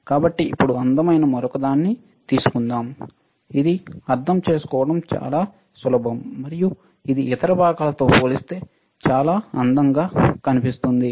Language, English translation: Telugu, So now let us take the another one this beautiful it is very easy to understand, and this looks extremely beautiful in terms of other components